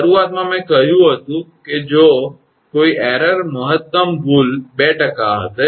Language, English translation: Gujarati, Initially, I told that if error maximum error will be 2 percent